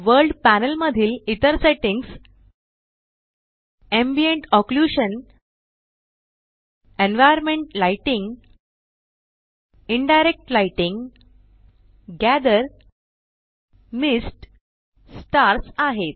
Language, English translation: Marathi, Other settings in the World panel are Ambient Occlusion, environment lighting, Indirect lighting, Gather, Mist, Stars